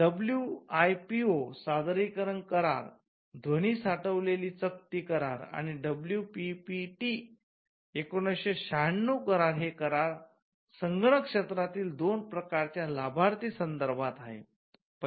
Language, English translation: Marathi, The WIPO performances and phonograms treaty the WPPT 1996 deals with two kinds of beneficiaries in the digital environment